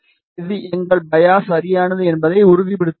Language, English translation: Tamil, This confirms that our biasing is correct